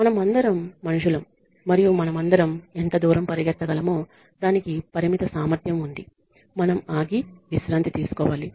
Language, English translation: Telugu, We are all human beings and we all have a limited capacity for how far we can run we need to stop and take rest